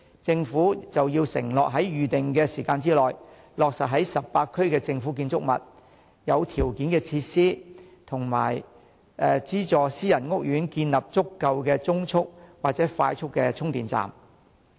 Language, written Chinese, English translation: Cantonese, 政府應要承諾在預定時間內，落實在18區的政府建築物、合乎條件的設施及受資助的私人屋苑，建立足夠的中速或快速充電站。, The Government should undertake to install within a target time frame sufficient medium or quick charging stations in government buildings suitable facilities and subsidized private housing estates across 18 districts